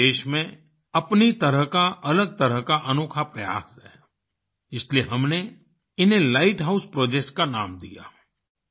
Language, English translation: Hindi, This is a unique attempt of its kind in the country; hence we gave it the name Light House Projects